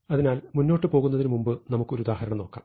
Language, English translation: Malayalam, So, let us look at an example before we proceed